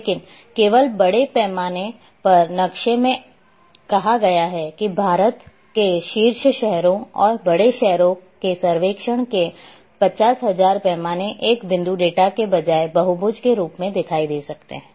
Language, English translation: Hindi, But only in a larger scale map say 50,000 scale of survey of India top cities and big city may appear as a polygon rather than a point data